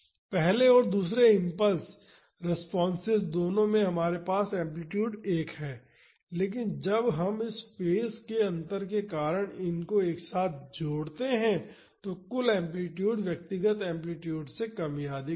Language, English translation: Hindi, Both the first and the second impulse responses we are having amplitude one, but when we add together because of this phase difference the total amplitude will be either less or more than the individual amplitudes